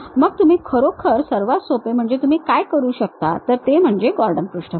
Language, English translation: Marathi, Then the easiest way what you can really construct is this Gordon surfaces